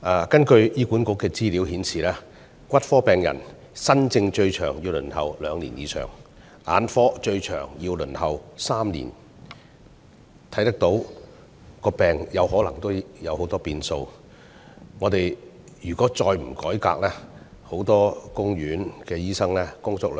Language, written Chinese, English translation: Cantonese, 根據醫院管理局資料顯示，骨科新症最長要輪候兩年以上，眼科新症則最長要輪候3年，到病人就診時，病情可能已出現很多變化。, As revealed by the information of the Hospital Authority the longest waiting time for new cases in the specialty of orthopaedics is more than two years while that for new cases in the specialty of ophthalmology is three years . When patients manage to receive medical consultation their medical condition may have changed a lot